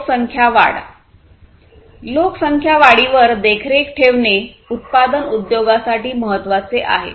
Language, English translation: Marathi, So, population growth: monitoring population growth is important for manufacturing industry